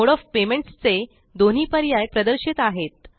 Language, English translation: Marathi, Both the options for mode of payment are displayed